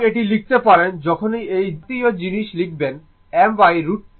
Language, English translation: Bengali, So, you can write this, whenever we write such thing we write I is equal to I m by root 2 angle 0